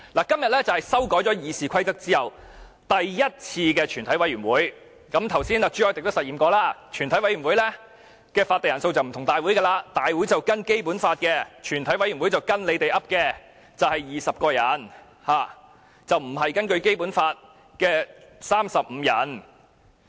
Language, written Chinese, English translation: Cantonese, 今天是修改《議事規則》後第一次舉行全體委員會，剛才朱凱廸議員也實驗過，全委會的法定人數與大會不同，大會的法定人數是根據《基本法》規定，全委會的法定人數則是建制派決定的20人，而不是《基本法》規定的35人。, This is the first meeting of a committee of the whole Council after the amendments to the Rules of Procedure RoP . As tested by Mr CHU Hoi - dick just now the quorum of the committee is different from that of the Council as stipulated in the Basic Law . The quorum of the committee is 20 Members as decided by the pro - establishment camp instead of 35 Members as stipulated in the Basic Law